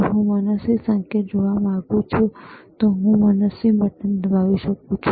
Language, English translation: Gujarati, If I want to see arbitrary signal, I can press arbitrary button